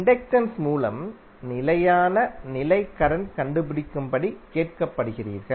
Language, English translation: Tamil, If you are asked to find the steady state current through inductor